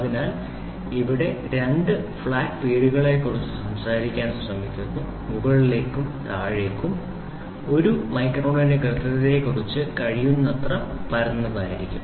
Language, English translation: Malayalam, So, here we try to talk about 2 flat names up and down there should be as flat as possible we talk about accuracy of one micron